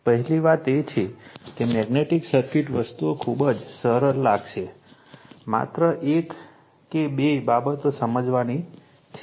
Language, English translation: Gujarati, First thing is that magnetic circuit we will find things are very simple, only one or two things we have to understand